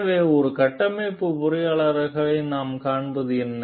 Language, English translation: Tamil, So, what we find like as a structural engineer